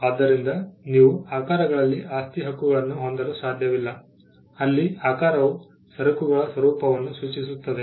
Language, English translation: Kannada, So, you cannot have property rights on shapes; where the shape signifies the shape of the nature of the goods themselves